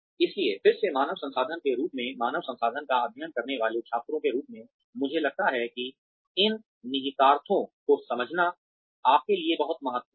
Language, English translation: Hindi, So again, as human resources, as students studying human resources, I think it is very important for you to understand these implications